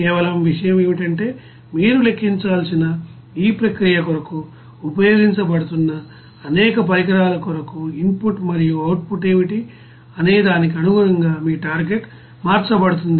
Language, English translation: Telugu, Only thing is that your target will be changed then accordingly what will be the you know input and output for you know several equipments which are being used for this process that you have to calculate